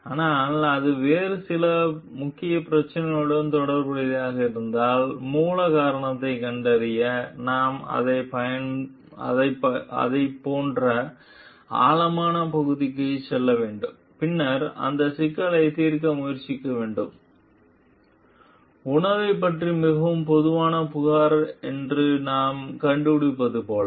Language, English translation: Tamil, But if it is related to some other major issues, then we need to go to the like deep of it to find out the root cause and then try to solve that problem, like we find food is maybe one very common complaint about